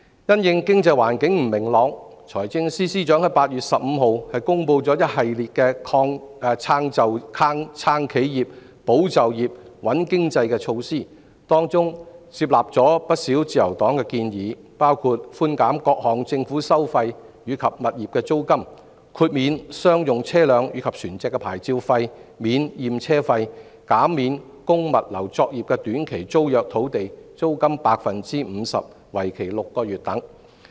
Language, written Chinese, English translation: Cantonese, 因應經濟環境不明朗，財政司司長於8月15日公布一系列"撐企業、保就業、穩經濟"的措施，當中接納了自由黨不少建議，包括寬減各項政府收費及物業租金、豁免商用車輛及船隻的牌照費、免驗車費、減免供物流作業的短期租約土地租金 50%， 為期6個月等。, In response to the clouded economic environment the Financial Secretary announced on 15 August a package of measures to support enterprises safeguard jobs and stabilize the economy having taken on board a number of suggestions made by the Liberal Party such as reducing various government fees and rental waiving licence fees for commercial vehicles and vessels waiving vehicle examination fees and reducing the rental for short - term tenancies of land for the logistics industry by 50 % for six months